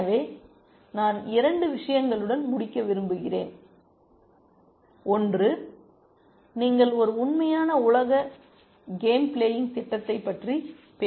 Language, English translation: Tamil, So, I want to end with a couple of things, one is that if you are talking about a real world game playing program